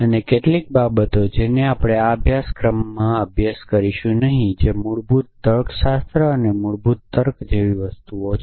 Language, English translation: Gujarati, And some of the things that off course we will not studied in this course a things like default logics and default reasoning essentially